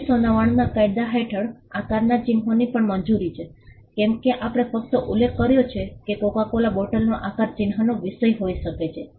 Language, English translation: Gujarati, The shape marks are also allowed under the 1999 act as we just mentioned the Coca Cola bottle shape can be a subject matter of shape mark